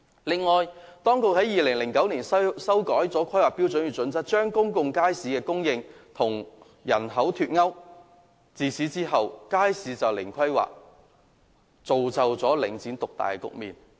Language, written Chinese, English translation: Cantonese, 此外，當局在2009年修改《規劃標準》，將公眾街市供應與人口"脫鈎"，自此街市便是"零規劃"，造就領展獨大的局面。, Furthermore after the authorities amended HKPSG in 2009 to make the provision of public market no longer related to population there has been zero planning for public markets thus giving rise to the monopoly of the market by Link REIT